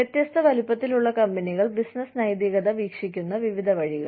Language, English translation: Malayalam, Various ways in which, different sized companies, view business ethics